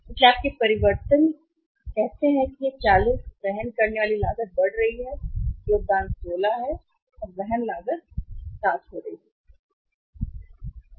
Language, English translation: Hindi, So, your changes say this 40 carrying cost is increasing incremental contribution is 16 and carrying cost is going to be 7